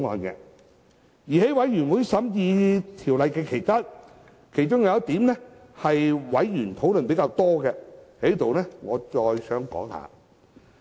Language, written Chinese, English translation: Cantonese, 在法案委員會審議《條例草案》期間，其中有一點是委員討論較多的，我在此再論述一下。, During the scrutiny of the Bill by the Bills Committee Members have particularly raised one point which I will hereby further elaborate on